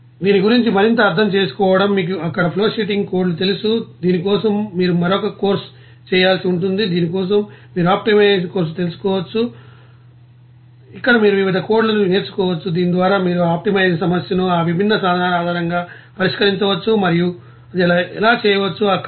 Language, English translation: Telugu, And further understanding of this you know flowsheeting codes there, you have to you know do another course for this you know optimization course where you can learn different codes by which you can solve that you know optimization problem based on that different tools and how it can be done it is the there